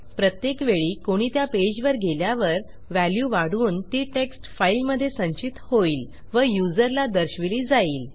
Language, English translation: Marathi, So every time someone enters the page, a value will be incremented, will be stored in a text file and it will be displayed to the user